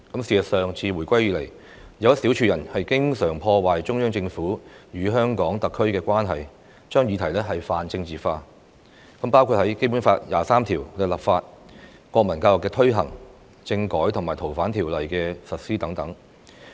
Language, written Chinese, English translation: Cantonese, 事實上，自回歸以來，有一小撮人經常破壞中央政府與香港特區的關係，將議題泛政治化，包括《基本法》第二十三條的立法、國民教育的推行、政改和《逃犯條例》的實施等。, In fact since the handover a small group of people have been trying to damage the relationship between the Central Government and HKSAR by politicizing various issues including the legislation on Article 23 of the Basic Law the implementation of national education constitutional reform and the implementation of the Fugitive Offenders Ordinance